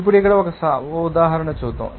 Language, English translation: Telugu, Now, let us do an example here